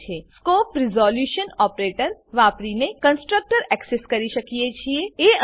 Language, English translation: Gujarati, Here we access the constructor using the scope resolution operator